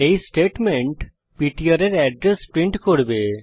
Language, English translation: Bengali, This statement will print the address of ptr